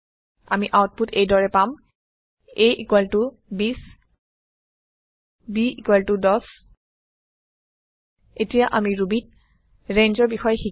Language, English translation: Assamese, We get the output as a=20 b=10 We will now learn about range in Ruby